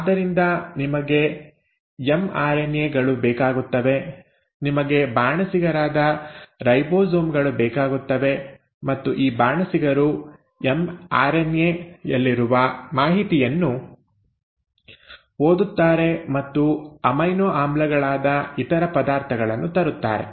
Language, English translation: Kannada, So you need mRNAs, you need ribosomes which are the chefs, and these chefs will read the information in the mRNA and bring in the other ingredients which are the amino acids